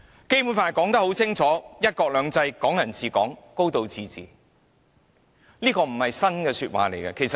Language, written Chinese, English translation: Cantonese, 《基本法》清楚訂明"一國兩制"、"港人治港"、"高度自治"，這些亦非新鮮說法。, Actually the Basic Law clearly provides for the concepts of one country two systems Hong Kong people ruling Hong Kong and a high degree of autonomy which are nothing new at all